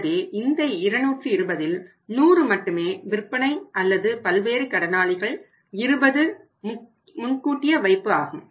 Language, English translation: Tamil, So, out of this thought 220, 100 is only sales or sundry debtors 100 is out of sundry debtors and 20 are advance deposit